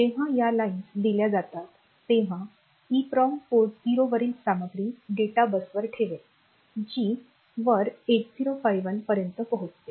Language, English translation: Marathi, So, EPROM will put the content on the data bus and the data bus through port 0 will reach 8051